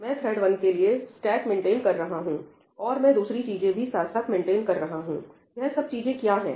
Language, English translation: Hindi, I am maintaining the stack for thread 1, and I maintain other things as well, I will talk about what these things are